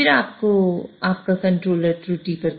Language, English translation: Hindi, So, this is your controller controller